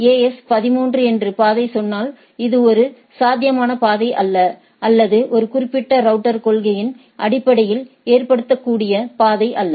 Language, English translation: Tamil, If the path says that AS 13, that is not a feasible path for this or acceptable path based on the policy for this particular router